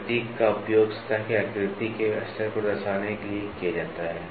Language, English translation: Hindi, The symbol is used to represent lay of the surface pattern